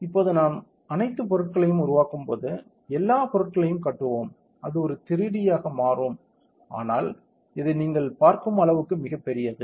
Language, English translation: Tamil, Now, we will give build all objects when we give build all objects it will become a 3D so, but this is too big as you can see